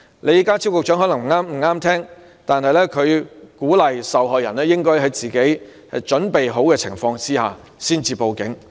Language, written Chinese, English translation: Cantonese, 李家超局長可能不中聽。邵議員鼓勵受害人在自己作好準備的情況下才報警。, Secretary John LEE may not consider it agreeable but Mr SHIU encourages sexual violence victims to make a report to the Police only when they have got well prepared for what may occur